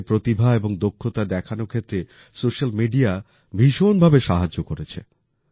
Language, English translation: Bengali, Social media has also helped a lot in showcasing people's skills and talents